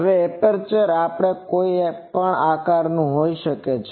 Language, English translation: Gujarati, Now, aperture may be of any shape